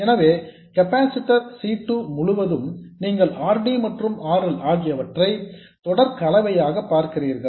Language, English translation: Tamil, So across the capacitor C2 you see the series combination of RD and RL and that is what this is saying